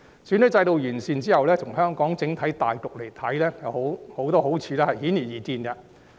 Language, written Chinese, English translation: Cantonese, 選舉制度完善後，從香港整體大局來看，有很多好處都是顯而易見的。, The improvement of the electoral system will bring many obvious benefits from the perspective of the overall situation in Hong Kong